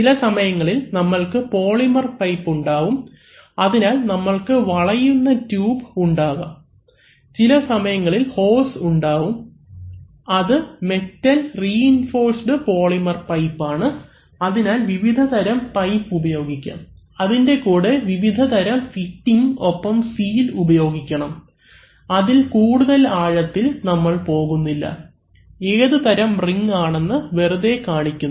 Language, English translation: Malayalam, Sometimes we have, we now have polymer pipes, so you here also you can have flexible tubing sometimes you can have hoses which are, you know metal reinforced polymer pipes, so various kinds of pipes can be used and along with that various kinds of fittings and seals must be used, so this is, we are not going to dwell much on that, only just to show, just to show what kind of a ring